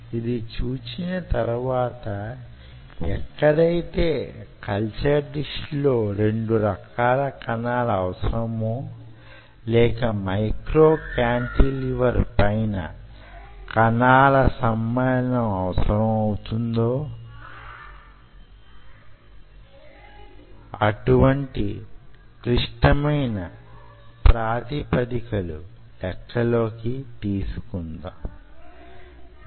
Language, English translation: Telugu, so having seen this, now we are opening a little bit more complexity where you needed to have two different cell type in a culture dish or integrate it on top of a micro cantilever